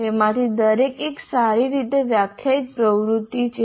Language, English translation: Gujarati, Each one of them is a well defined activity